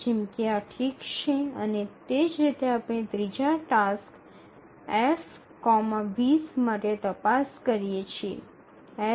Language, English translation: Gujarati, So this is okay and similarly we check for the third task F comma 20